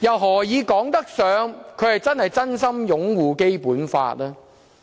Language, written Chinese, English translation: Cantonese, 何以說得上他是真心擁護《基本法》呢？, How can he say that he genuinely upholds the Basic Law?